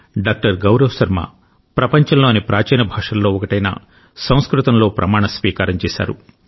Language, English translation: Telugu, Gaurav Sharma took the Oath of office in one of the ancient languages of the world Sanskrit